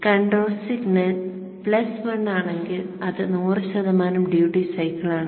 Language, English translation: Malayalam, If the control signal is plus 1, then it is 100% duty cycle